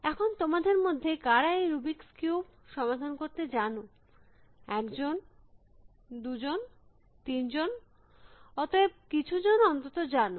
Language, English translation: Bengali, Now, how many of you know how to solve the rubrics cube, only one, two, three, it is, so some people at least